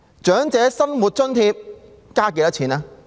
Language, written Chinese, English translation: Cantonese, 長者生活津貼增加了多少？, How much has the Old Age Living Allowance OALA increased?